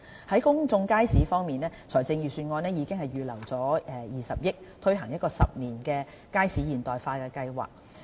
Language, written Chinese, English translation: Cantonese, 在公眾街市方面，財政預算案已預留20億元，推行10年"街市現代化計劃"。, On public markets a provision of 2 billion has been earmarked in the Budget for implementing a Market Modernisation Programme over the next 10 years